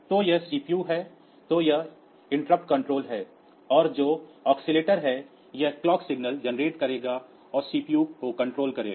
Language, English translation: Hindi, So, in the we have got this CPU then the interrupt control and the oscillator that will be generating the clock signal